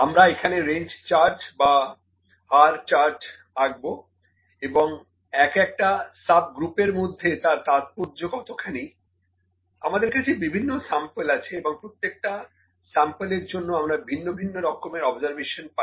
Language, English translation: Bengali, So, we will draw the range or R charts and what are the significant within a subgroup and we have different samples and for each sample, we have different observations